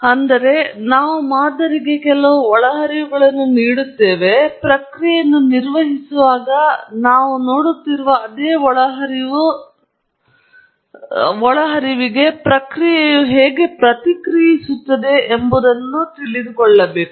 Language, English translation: Kannada, So, we give certain inputs to the model, the same inputs that we would see when we operate the process, and ask how the process would respond